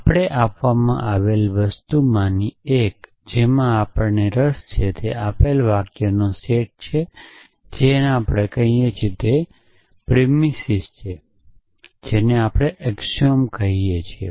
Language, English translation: Gujarati, so one of the thing we are interested in is a given a set of sentences yes which we could call is premises we could call as axioms